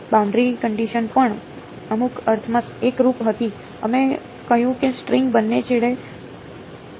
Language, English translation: Gujarati, The boundary conditions were also homogeneous in some sense we said the string is clamped at both ends